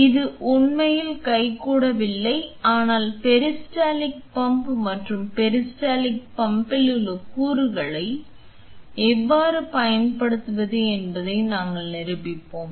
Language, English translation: Tamil, So, it is not really a hands on, but we will be demonstrating you how can you use the peristaltic pump and the component within the peristaltic pump